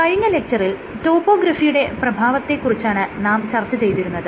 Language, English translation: Malayalam, In last class, we had started discussing about effect of topography